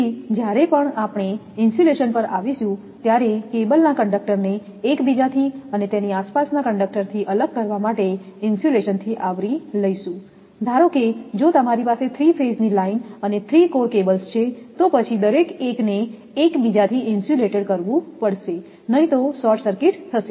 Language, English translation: Gujarati, Therefore, when we come to the insulation the conductors of a cable have to be covered by an insulation to isolate the conductors from each other and from their surroundings; suppose, if you have a 3 phase line and 3 core cables then each 1 has to be insulated from each other, otherwise there will be short circuit